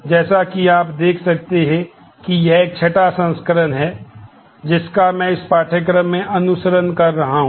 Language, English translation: Hindi, This is as you can see this is a sixth edition that I am following in this course